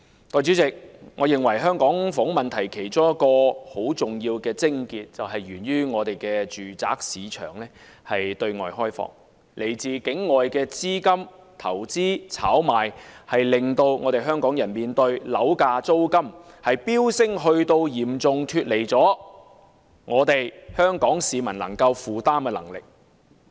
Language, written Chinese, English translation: Cantonese, 代理主席，我認為香港房屋問題其中一個重要癥結，源於我們的住宅市場對外開放，來自境外資金的投資炒賣，令香港人要面對樓價和租金飆升至嚴重脫離香港市民可以負擔的能力。, Deputy President I think one of the cruxes of the housing issue in Hong Kong is that our residential market is open to the outside world . Due to investment and speculation by capital outside Hong Kong property prices and rents have surged to a level way beyond the affordability of Hong Kong people